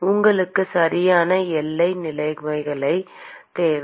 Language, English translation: Tamil, You need boundary conditions right